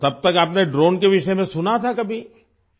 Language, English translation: Urdu, So till then had you ever heard about drones